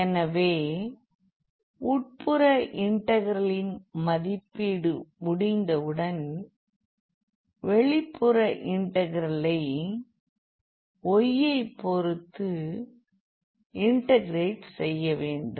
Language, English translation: Tamil, So, then once having done the evaluation of the inner integral we will go to the outer one now with respect to y